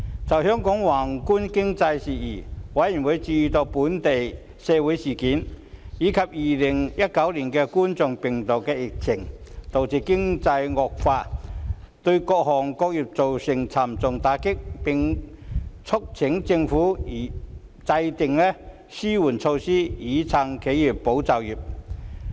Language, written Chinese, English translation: Cantonese, 就香港宏觀經濟事宜，委員關注本地社會事件及2019冠狀病毒病疫情，導致經濟情況惡化，對各行各業造成沉重打擊，並促請政府制訂紓困措施以"撐企業、保就業"。, On Hong Kongs macro economy members expressed concern that local social incidents and the Coronavirus Disease 2019 COVID - 19 epidemic had led to a deterioration in economic conditions dealing a heavy blow to various sectors . They urged the Administration to formulate relief measures to support enterprises and safeguard jobs